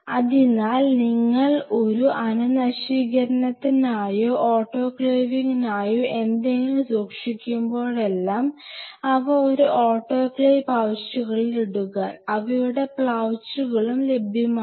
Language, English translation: Malayalam, So, whenever you are keeping anything for a sterilization or autoclaving you put them in an autoclave pouches, their pouches which are available